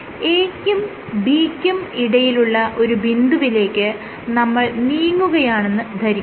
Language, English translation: Malayalam, So, you have you are traveling to this point between A and B then it touches the surface